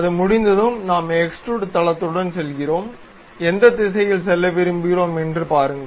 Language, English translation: Tamil, Once it is done, we go with extrude boss base, see in which direction we would like to have